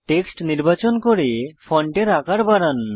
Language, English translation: Bengali, Now, lets select the text and increase the font size